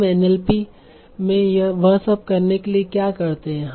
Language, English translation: Hindi, So what we do in NLP is to handle all that